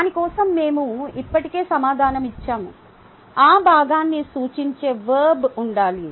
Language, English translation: Telugu, for that we already answered: there should be a verb which represent that two part